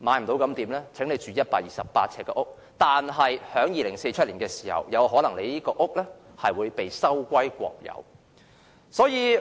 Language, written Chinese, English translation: Cantonese, 資金不足的可以買128平方呎的房屋，但在2047年有可能會被收歸國有。, Those who do not have enough money can now purchase those 128 sq ft flats which may however end up being nationalized in 2047